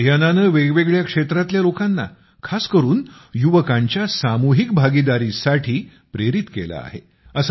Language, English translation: Marathi, This campaign has also inspired people from different walks of life, especially the youth, for collective participation